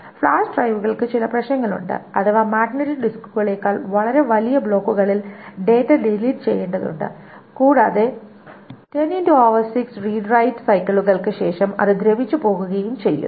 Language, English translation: Malayalam, Also, flash drives have these problems that data needs to be written in much larger blocks than magnetic disks and it erodes after 10 to the over 6 re dried cycles